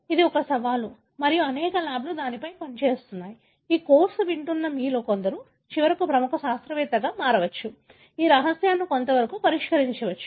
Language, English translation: Telugu, So, that is, that is a challenge and the many many labs have been working on it; possible that some of you who are listening to this course may eventually become a leading scientist, may solve some of this mystery